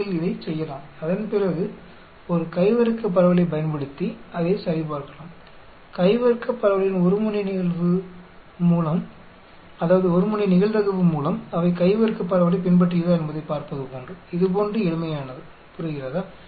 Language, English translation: Tamil, You can do this and after that we can check it using a chi square distribution, 1 tailed probability of the chi square distribution to see whether they follow the chi square distribution, as simple as this, understand